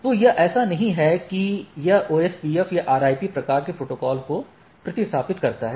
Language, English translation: Hindi, So, it is not like that it replace OSPF or RIP type of protocol right